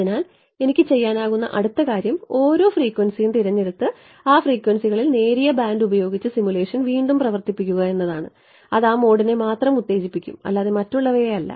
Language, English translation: Malayalam, And so, the next thing I could do is pick each one of those frequencies and re run the simulation with the narrow band at those frequencies that will excide only that mode and not the others right